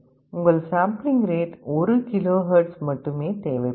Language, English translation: Tamil, May be your sampling rate will be 1 KHz only